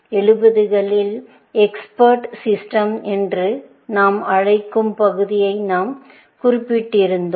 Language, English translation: Tamil, We had mentioned that in the 70s, was the area of what we call as expert systems